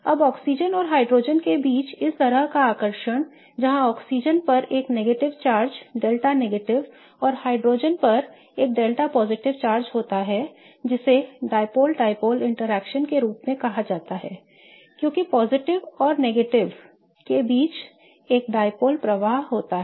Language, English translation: Hindi, Now, this kind of attraction between oxygen and hydrogen where the oxygen bears a negative charge, delta negative and hydrogen bears a delta positive leads to something called as a dipole dipole interaction because there is a dipole created between a positive end and a negative end